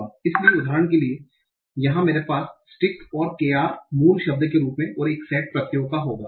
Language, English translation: Hindi, So for example here I will have SKIC as the root word and KR as the root word and the same set of suffixes